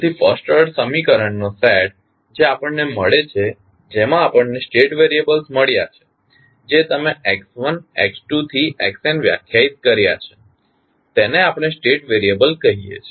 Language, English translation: Gujarati, So, the set of the first order equation which we get in that the variables which you have define like x1, x2 to xn we call them as state variable